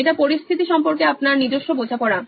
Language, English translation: Bengali, It’s your own understanding of the situation